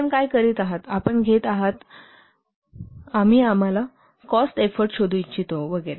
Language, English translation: Marathi, So what you do, you take, we want to find out the cost, effort, etc